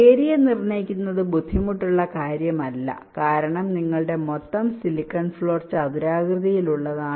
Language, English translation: Malayalam, ok, determining area is not difficult because you see your total silicon floor is rectangular in nature